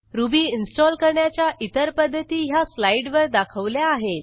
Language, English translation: Marathi, Other methods for installing Ruby are as shown in this slide